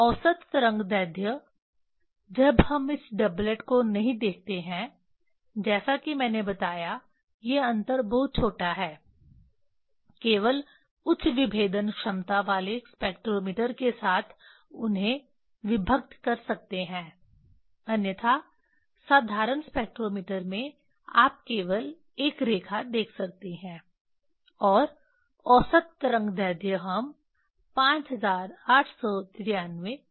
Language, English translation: Hindi, average wave length we consider when we do not see this doublet as I told these difference are very small only with high resolve spectrometer you can resolve them, otherwise in ordinary spectrometer you can see only one line and average wave length we take 5893